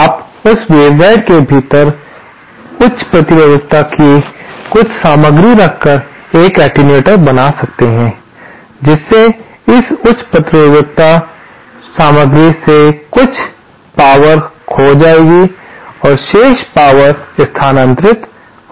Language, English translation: Hindi, You can make an attenuator by keeping some material of high resistivity within that waveguide, that will cause some of the power to be lost in this high resistivity material and the and the remaining power to be transferred